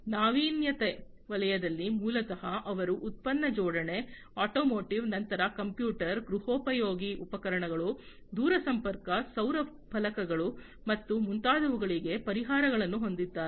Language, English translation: Kannada, So, in the innovation sector basically, they have solutions for product assembly, automotive, then computer, home appliance, telecommunication, solar panels and so on